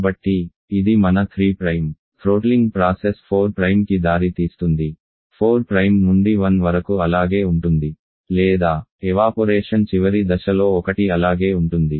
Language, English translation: Telugu, So you throttling this here 3 Prime throttling process will go to this leading to 4 Prime, 4 prime to 1 will remain the same or at the end point of evaporation there is one will be remain same